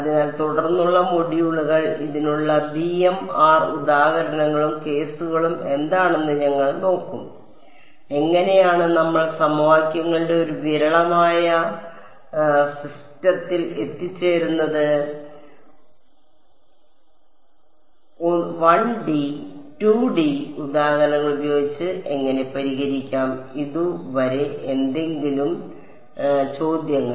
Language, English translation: Malayalam, So, subsequent modules we will look at what are the examples and cases for this b b m of r, how will we arrive at a sparse system of equations, how do we solve it with 1 D and 2 D examples ok; any questions on this so far